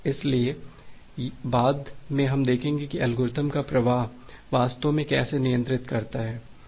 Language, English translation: Hindi, So later on we’ll see that how flow control algorithm actually ensures that